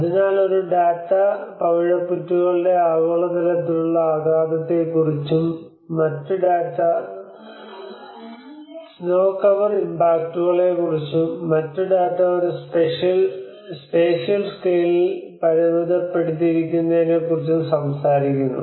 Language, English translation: Malayalam, So one data is talking about a global level impact on the coral reefs, and the other data talks about the snow cover impacts, and the other data talks about very limited to a spatial scale maybe the affected area